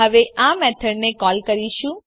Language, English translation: Gujarati, Now we will call this method